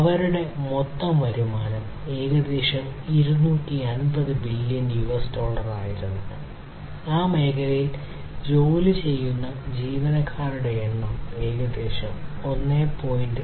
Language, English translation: Malayalam, And their overall revenues were in the order of about 250 billion US dollars and the number of employees working in that area was about 1